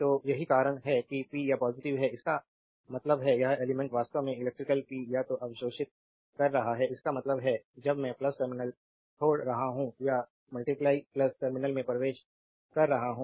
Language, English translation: Hindi, So, that is why the power is positive; that means, this element actually is absorbing the electrical power so; that means, when i is leaving the plus terminal or entering into the plus terminal right